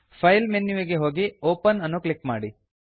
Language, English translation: Kannada, Go to File menu and click on Open